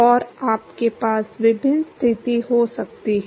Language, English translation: Hindi, And you can have various condition